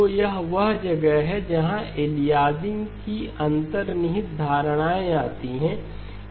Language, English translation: Hindi, So this is where the underlying notions of aliasing come in